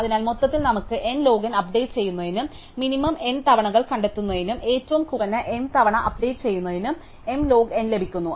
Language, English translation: Malayalam, So, overall we get n log n for updating, for finding the minimum n times and m log n for updating the minimum m times